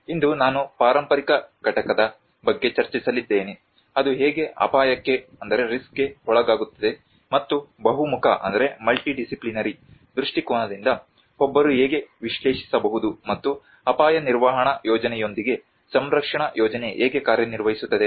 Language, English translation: Kannada, Today, I am going to discuss about a heritage component, how it is subjected to risk and how one can analyze from a very multi disciplinary perspective and also how the conservation plan works along with the risk management plan